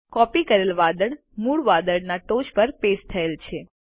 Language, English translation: Gujarati, The copied cloud has been pasted on the top of the original cloud